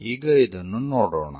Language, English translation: Kannada, Let us look at this